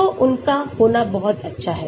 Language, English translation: Hindi, so it is really nice to have them